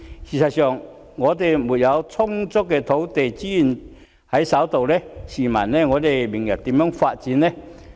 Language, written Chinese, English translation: Cantonese, 事實上，本港如沒有充足的土地資源在手，試問明日如何發展呢？, As a matter of fact without sufficient land resources how can development be possible in future?